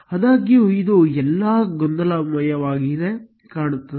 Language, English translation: Kannada, However, it looks all jumbled up